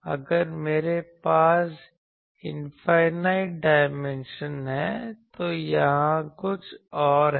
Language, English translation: Hindi, If I have infinite dimension, then there is something else